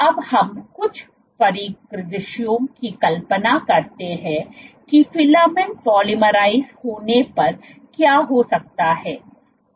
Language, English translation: Hindi, Now let us imagine some scenarios what might happen when the filament polymerizes